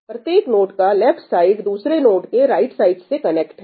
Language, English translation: Hindi, Every node on the left hand side is connected to every other node on the right hand side